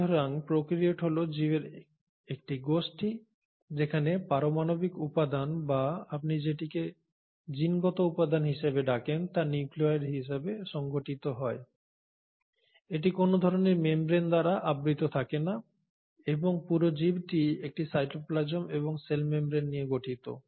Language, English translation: Bengali, So prokaryotes are a group of organisms where the nuclear material or the what you call as the genetic material is organised as a nucleoid body, it is not surrounded by any kind of a membrane and the whole organism consists of cytoplasm and a cell membrane